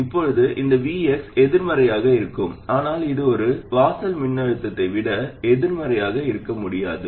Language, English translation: Tamil, Now this VX could be negative but it cannot be more negative than one threshold voltage